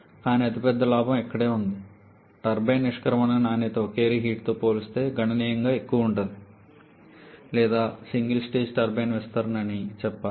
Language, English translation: Telugu, But the biggest gain is here, the turbine exit quality will be significantly higher compared to a single reheat case or I should say a single stage turbine expansion